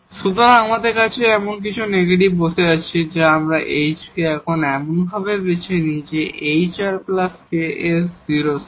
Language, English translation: Bengali, So, we have something negative sitting here now and we choose this h now such that hr plus this ks is equal to 0